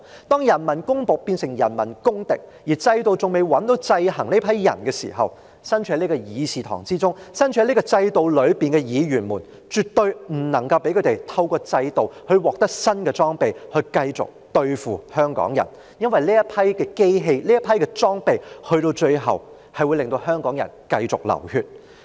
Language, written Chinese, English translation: Cantonese, 當人民公僕變成人民公敵，而制度中仍未有制衡這些人的方法時，身處會議廳中、身處制度內的議員，便絕對不能夠讓警務處透過制度而獲得新的裝備來繼續對付香港人，因為這批機械和裝備最終會令香港人繼續流血。, When peoples servants have become peoples enemies and there is still no way in the system to restrict such people we being Members both in the Chamber and within the establishment can never allow the Police Force to acquire new equipment through the system to continue to crack down on Hongkongers because such hardware and equipment will eventually make Hongkongers continue to bleed